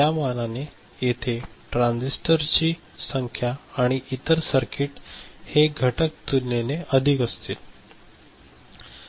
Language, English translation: Marathi, So, here the number of transistors and other things, these circuit elements will be relatively more